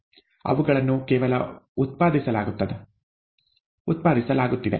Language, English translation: Kannada, They are only being generated